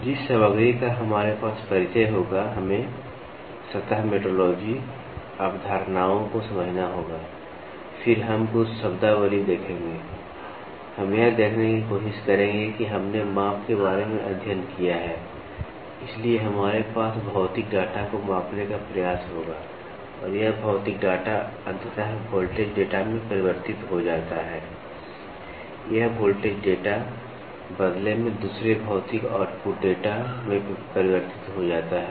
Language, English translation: Hindi, So, the content we will have introduction, then, we will have to understand surface metrology concepts then, we will look into certain terminologies then, we will try to see like we studied about measurement, so we have we will try to measure a physical data and this physical data finally gets converted into a voltage data, this voltage data in turn gets converted into another physical output data